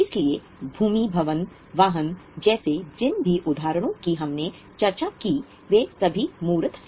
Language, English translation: Hindi, So, all the examples which we discussed, like land, building, vehicles, these are all tangible